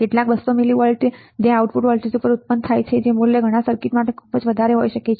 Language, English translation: Gujarati, Some 200 millivolts right that is generated at the output voltage and the value may be too high for many circuits right